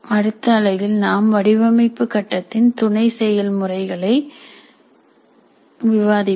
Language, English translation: Tamil, Now in the next unit we will discuss the design phase sub processes